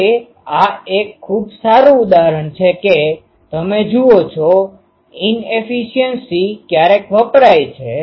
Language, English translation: Gujarati, Now this is an very good example that you see inefficiency sometimes are used ah